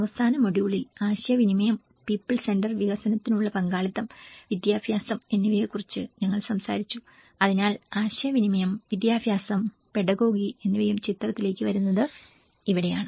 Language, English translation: Malayalam, And in the last module, we talked about the communication, participation for people centre development and education you know so this is where when we talk about communication, education, the pedagogy also comes into the picture